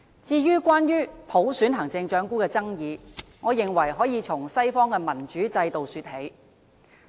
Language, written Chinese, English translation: Cantonese, 至於關於普選行政長官的爭議，我認為可以從西方的民主制度說起。, Regarding the controversy over the Chief Executive selection by universal suffrage I think we can start the discussion from the democratic system in the West